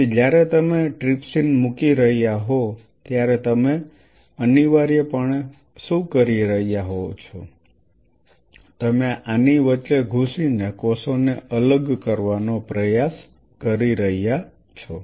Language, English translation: Gujarati, So, what you are essentially doing while you are putting trypsin you are trying to you know separate out the cells by penetrating in between like this